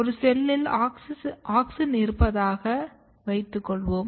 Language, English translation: Tamil, Auxin, Let us assume that a cell has auxin